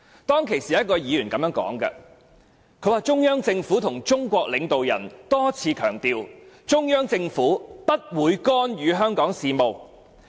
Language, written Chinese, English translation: Cantonese, 當時有一位議員這樣說："中央政府和中國領導人多次強調，中央政府不會干預香港事務。, At that time a Member said The Central Government and state leaders have stressed a number of times that the Central Government will not interfere with Hong Kong affairs